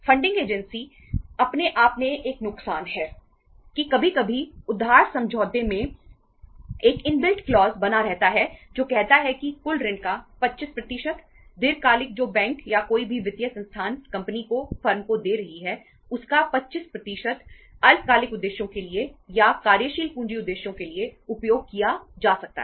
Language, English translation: Hindi, The funding agency itself a loss that that sometime remains a inbuilt clause in the borrowing agreement that say uh 25% of the total loan, long term which the bank or any financial institution is giving to the company, to the firm, 25% of that can be used for the short term purposes or for the working capital purposes